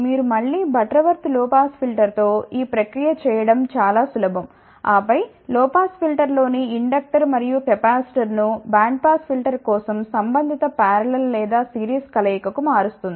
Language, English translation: Telugu, The process is again simple that you with a Butterworth low pass filter, and then transform inductor and capacitor in the low pass filter to the corresponding parallel or series combination for band pass filter